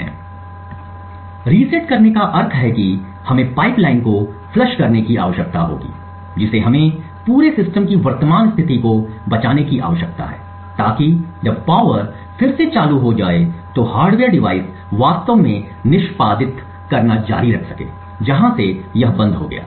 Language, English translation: Hindi, So, resetting would imply that we would need to flush the pipeline we need to save the current state of the entire system so that when the power is turned on again the hardware device can actually continue to execute from where it had stopped